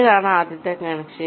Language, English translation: Malayalam, this is the first connection